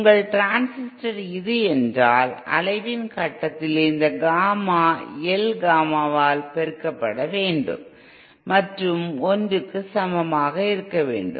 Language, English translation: Tamil, If your transistor is this, then at the point of oscillation you should have this Gamma L multiplied by Gamma in should be equal to 1